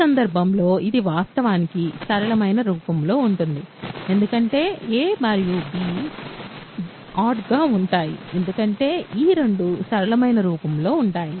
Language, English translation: Telugu, In this case, it is actually of the, in the simplest form because a and b are odd because these two are in simplest form